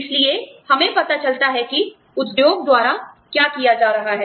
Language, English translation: Hindi, So, we find out, what is being done, by the industry